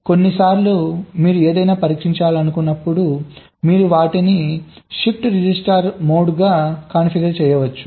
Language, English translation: Telugu, but sometimes, when you want to test something, you can configure them as the shift register mode